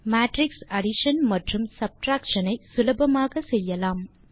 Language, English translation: Tamil, We can do matrix addition and subtraction easily